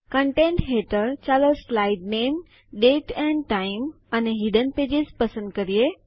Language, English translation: Gujarati, Under Contents, lets select Slide name, Date and time and Hidden pages